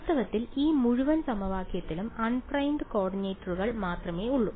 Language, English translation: Malayalam, In fact, this whole equation has only unprimed coordinates in it ok